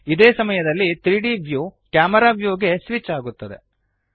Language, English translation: Kannada, The 3D view switches to the camera view at the same time